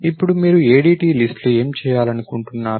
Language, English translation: Telugu, Now, what are the things that you would like to do in an ADT list